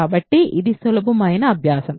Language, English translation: Telugu, So, this is the very easy exercise